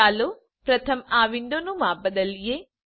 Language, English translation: Gujarati, Let me resize this window first